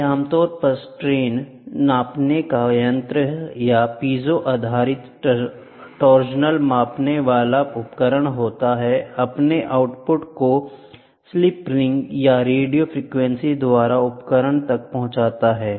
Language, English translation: Hindi, They are generally strain gauge or piezo based torsional measuring devices and transmit their output to the instrument either by slip rings or by radio frequency